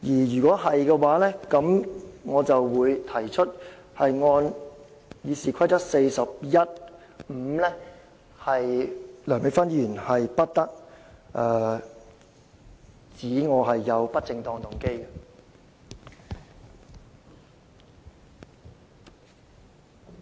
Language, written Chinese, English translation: Cantonese, 如果是，我想根據《議事規則》第415條提出，梁美芬議員不得意指我有不正當動機。, If so I would like to raise that pursuant to Rule 415 of the Rules of Procedure Dr Priscilla LEUNG shall not impute improper motives to me